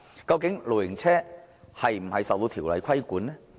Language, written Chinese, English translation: Cantonese, 究竟露營車是否受條例規管呢？, Are caravans subject to the regulation of any legislation?